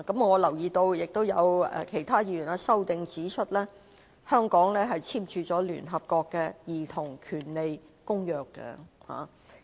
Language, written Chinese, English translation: Cantonese, 我留意到，有其他議員在修正案指出，香港簽署了聯合國《兒童權利公約》。, I notice that a Member has pointed out in his amendment that Hong Kong has signed the Convention on the Rights of the Child